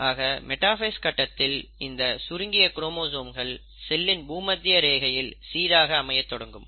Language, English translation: Tamil, Now during the metaphase, these chromosomes start arranging right at the equatorial plane of the cell